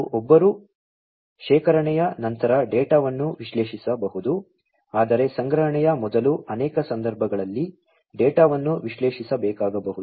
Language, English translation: Kannada, And one can analyze, the data after storage, but before storage also the in many cases the data may need to be analyzed